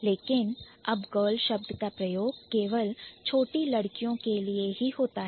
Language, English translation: Hindi, But now, girl as a word, it's generally restricted to the younger girls